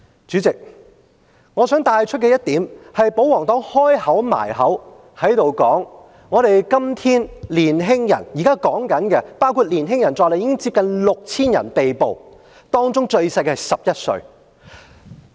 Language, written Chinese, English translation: Cantonese, 主席，我想帶出一點是，保皇黨不斷強調今天的年輕人，現在包括年輕人在內，接近 6,000 人被捕，當中年紀最小的只有11歲。, President I wish to make a point and that is the royalists keep on emphasizing that todays young people―as at today nearly 6 000 people have been arrested including young people and the youngest is only 11 years old―the royalists keep on emphasizing that these young people have been misled